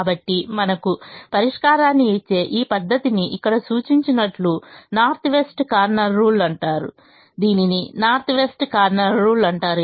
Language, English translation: Telugu, so this method which gives us a solution is called the north west corner rule, as indicated here